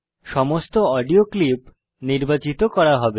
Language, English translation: Bengali, All the audio clips will be selected